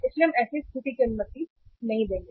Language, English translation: Hindi, So we should not allow the situation